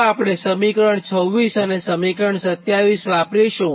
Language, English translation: Gujarati, so by using equation twenty six and twenty seven, right